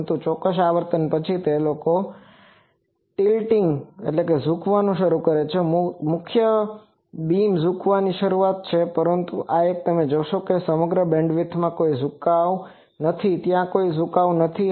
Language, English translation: Gujarati, But, after certain frequency they start tilting, the main beam starts tilting, but this one you see that there is no tilting in the throughout the whole band there is no tilting